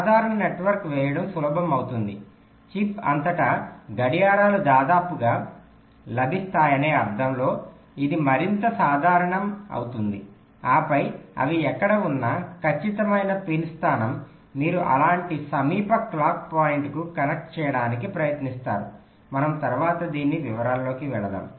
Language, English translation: Telugu, it will be more generic in the sense that clocks will be available almost all throughout the chip and then the exact pin location, wherever they are, you try to connect to the nearest clock point, something like that